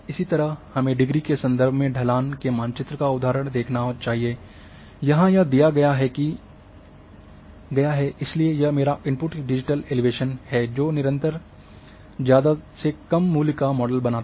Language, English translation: Hindi, Likewise, let us see you the example of a slope map in terms of degree it is given so this is my input digital elevation model which a showing a continuous values low to high